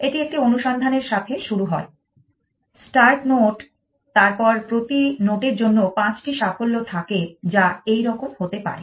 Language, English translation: Bengali, It starts with a search the start note, then a next a there are five successes for a every note may be like this